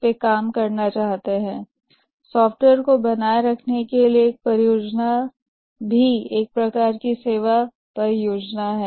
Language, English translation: Hindi, A project to maintain the software is also a type of services project